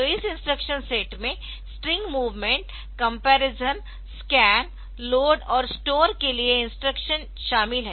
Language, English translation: Hindi, So, this instruction set it includes instructions for string movement comparison, scan, load and store